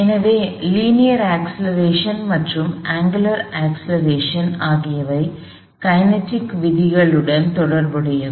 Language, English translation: Tamil, So, the linear acceleration and the angular acceleration are related to the kinematic relationship